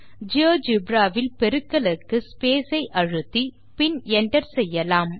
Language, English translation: Tamil, For times in geogebra we can use the space, and press enter